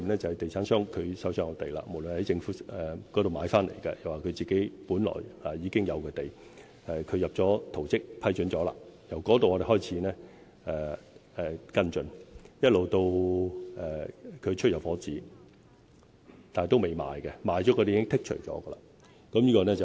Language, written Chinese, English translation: Cantonese, 就是地產商就手上的土地，無論是從政府買回來或是本來已經擁有的土地，提交了圖則，得到了批准，我們從那時候開始跟進，一直到地產商發出入伙紙，但單位仍未出售，因為已售出的單位已經被剔除。, Property developers have to submit plans concerning their lands lands that are either purchased from the Government or that are already in their possession . We will follow up from the approval of the plans to the issuance of the occupation permits by the developers . But the housing units have yet to be sold because the units sold will not be included in our figures